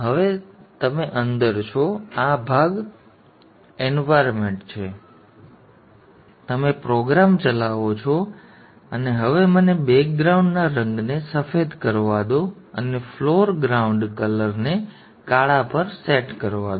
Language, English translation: Gujarati, Now you are into the Engie Spice environment you have you ran the program and now let me set the background color to white and set the foreground color to black